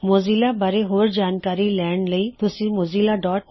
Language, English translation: Punjabi, Visit mozilla.org for detailed information on Mozilla